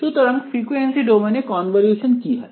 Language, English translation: Bengali, So, in the frequency domain the convolution becomes